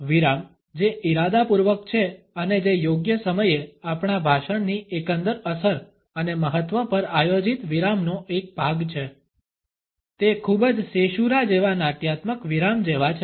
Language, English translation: Gujarati, The pauses which are intentional and are a part of a planned pause at the right moment at to the overall impact and significance of our speech they are very much like the dramatic pauses like caesura